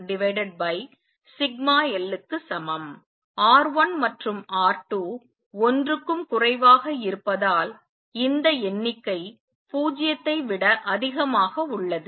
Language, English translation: Tamil, Since R 1 and R 2 are less than 1, therefore this number is greater than 0